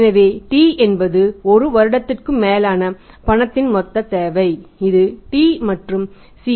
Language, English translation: Tamil, Then T is the total requirement of the cash over a period of time and we assume here the period of one year